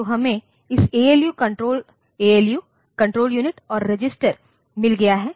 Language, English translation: Hindi, So, we have got this ALU, Control Unit and the registers